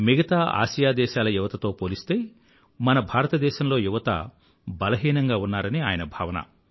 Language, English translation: Telugu, He feels that our youth are physically weak, compared to those of other Asian countries